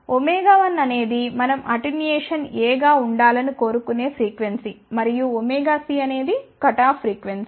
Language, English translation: Telugu, Is the frequency where we want attenuation to be A and omega c is the cutoff frequency